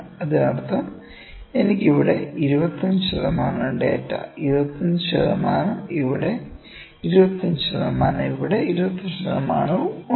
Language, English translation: Malayalam, That means, I am having 25 percent of data here 25 percent, here 25 percent here and 25 percent here